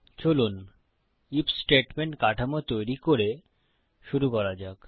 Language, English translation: Bengali, Lets start by creating the IF statement structure